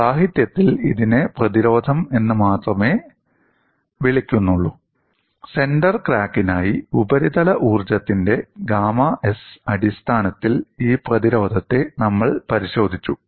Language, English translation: Malayalam, In the literature, it is called only as resistance, and for the center crack, we have looked at this resistance in terms of the surface energy gamma s